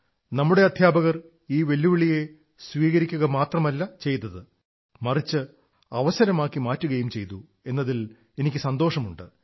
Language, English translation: Malayalam, I am happy that not only have our teachers accepted this challenge but also turned it into an opportunity